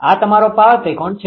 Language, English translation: Gujarati, This is your power triangle, this is your power triangle